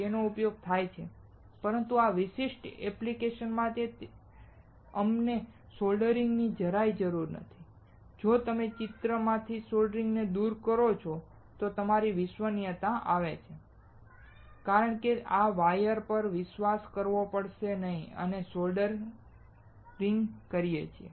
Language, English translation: Gujarati, It is used, but for this particular application we do not require soldering at all and if you remove soldering from the picture, then your reliability comes up because you do not have to rely on this wires that we are soldering